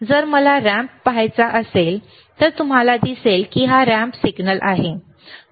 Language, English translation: Marathi, If I want to see a ramp, then you see this is a ramp signal, right